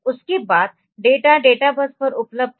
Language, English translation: Hindi, After that the data is available on the databus on the